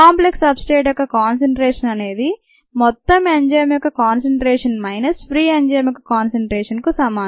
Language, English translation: Telugu, the concentration of the enzyme substrate complex is total concentration of the enzyme minus the concentration of the free enzyme